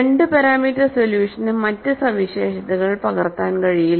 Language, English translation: Malayalam, The 2 parameter solution is unable to capture the other features